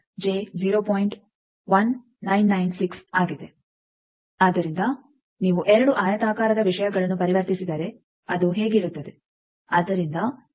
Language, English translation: Kannada, So, that if you convert two rectangular things it will be like these